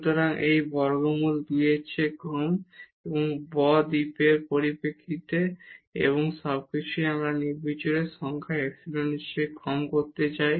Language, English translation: Bengali, So, this is less than square root 2 and in terms of delta and this everything we want to make less than the arbitrary number epsilon